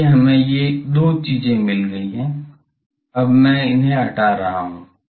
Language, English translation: Hindi, So, we have got these two things, now I am removing these